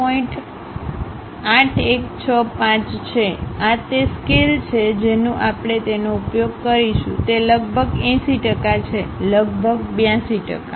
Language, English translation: Gujarati, 8165; this is the scale what we have to use it, approximately it is 80 percent, 82 percent approximately